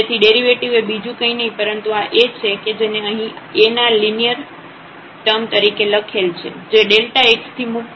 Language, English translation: Gujarati, So, the derivative is nothing, but this A which is written here in the linear term A which is free from delta x